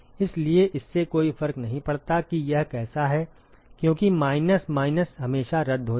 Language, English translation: Hindi, So, it does not matter how it is because the minus minus will always cancel out